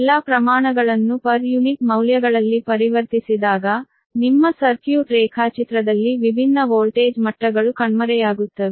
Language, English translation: Kannada, and when all the all the quantities are converted in per unit values, that different voltage level will disappear in your circuit diagram